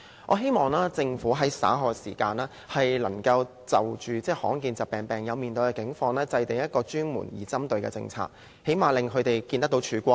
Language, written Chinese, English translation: Cantonese, 我希望政府稍後能夠就罕見疾病病友面對的困難，制訂專門而具針對性的政策，起碼讓他們看得到曙光。, I hope that later in response to the hardship endured by patients with rare diseases the Government can formulate designated and targeted policies so as to let them see some hope